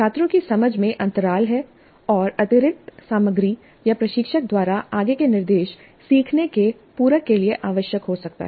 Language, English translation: Hindi, There are gaps in the students' understanding and it may be necessary to supplement the learning with additional material or further instruction by the instructor